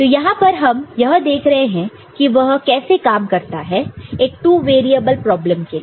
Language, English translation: Hindi, So, here you see how it actually works out for a two variable problem